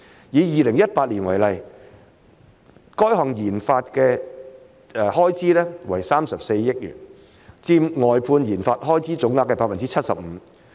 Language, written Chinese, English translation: Cantonese, 以2018年為例，該項研發的開支為34億元，佔外判研發開支總額的 75%。, In 2018 for example the expenditure on RD contracted out to parties outside Hong Kong amounted to 3.4 billion accounting for 75 % of the total expenditure on contracted - out RD